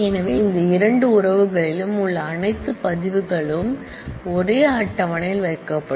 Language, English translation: Tamil, So, all records that exist in both these relations will be put together into a single table